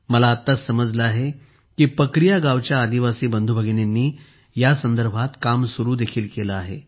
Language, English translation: Marathi, Now I have come to know that the tribal brothers and sisters of Pakaria village have already started working on this